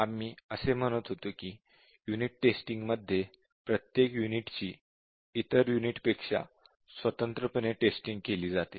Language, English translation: Marathi, We were saying that in unit testing each unit is tested independently of the other units